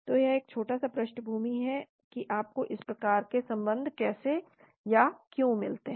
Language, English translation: Hindi, So this is a little bit of background of how or why you get this type of relationship